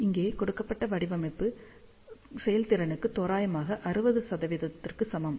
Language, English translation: Tamil, And the design given over here is for efficiency, approximately equal to 60 percent